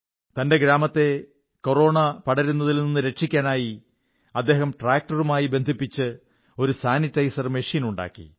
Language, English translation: Malayalam, To protect his village from the spread of Corona, he has devised a sanitization machine attached to his tractor and this innovation is performing very effectively